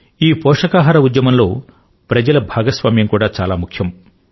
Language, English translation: Telugu, In this movement pertaining to nutrition, people's participation is also very crucial